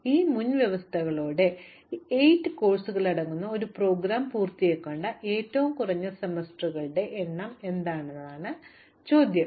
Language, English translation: Malayalam, So, the question is, what is the minimum number of semesters that I need to complete this program consisting of these 8 courses, with these prerequisites